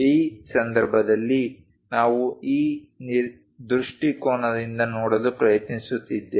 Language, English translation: Kannada, In this case, what we are trying to look at is from this view we are trying to look at